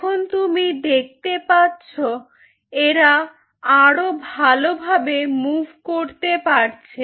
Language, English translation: Bengali, now you see, they can move better, like this